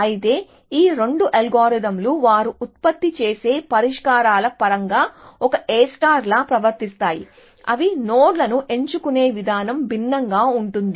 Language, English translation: Telugu, Whereas, these two algorithms behave like A star in terms of the solutions they produce, the way they pick nodes is different